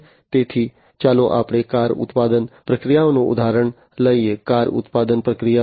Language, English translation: Gujarati, So, let us take the example of a car manufacturing process; car manufacturing process